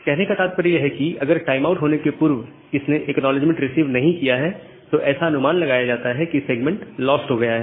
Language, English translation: Hindi, So, if it does not receive the acknowledgement within the timeout, it assumes that the segment has lost